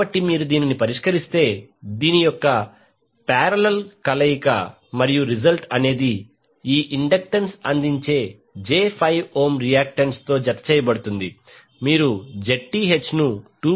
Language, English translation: Telugu, So, if you solve this, the parallel combination of this and then the result is added with j 5 ohm reactance offered by the inductance you will get Zth as 2